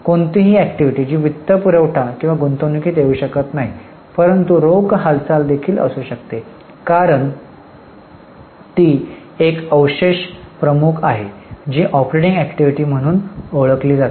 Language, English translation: Marathi, Any activity which cannot fall in financing or investing but there is a cash movement is also included because it is a residuary head known as operating activity